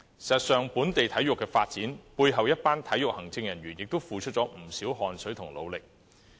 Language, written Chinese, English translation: Cantonese, 事實上，本地體育的發展，有賴背後一群付出了不少汗水和努力的體育行政人員。, In fact the local sports development counts on a group of sports administrators who have contributed much effort and hard work behind the scene